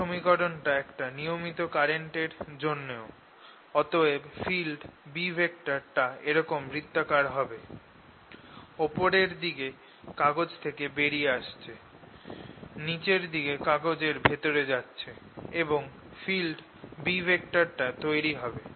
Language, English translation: Bengali, this is precisely the equation that is due to a regular current also and therefore out here the b field is going to be circular like this, coming out of the paper on top, going into the paper at the bottom, and this b field is going to be produced